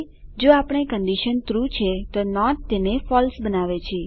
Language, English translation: Gujarati, If the given condition is true, not makes it false